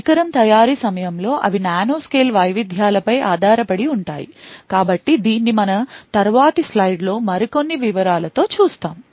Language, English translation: Telugu, They are based on nanoscale variations in which are present during the manufacturing of the device, So, we will see this in little more details in our later slide